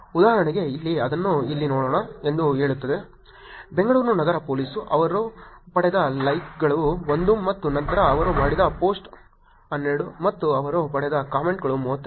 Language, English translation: Kannada, For example here, it says let us look at it here, Bangalore City Police, the likes that they got were 1 and then the post that they did was 12 and the comments that they got was 32